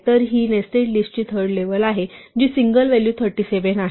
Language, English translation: Marathi, So, it is a third level of nested list which as a single value 37